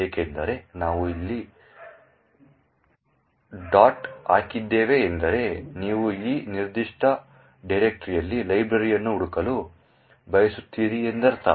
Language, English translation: Kannada, Since we put dot over here it would mean that you want to search for the library in this particular directory